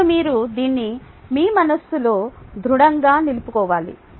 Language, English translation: Telugu, ok, now you need to have this firmly set in your mind